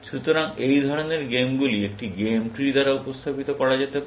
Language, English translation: Bengali, So, such games can be represented by a game tree